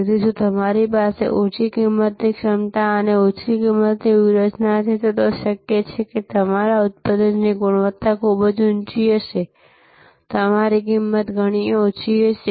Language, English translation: Gujarati, So, if you have a low cost capability and low cost strategy, it is possible that why your product quality will be pretty high, your price your cost will be quite low